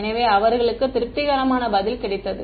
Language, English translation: Tamil, So, they got a satisfactory answer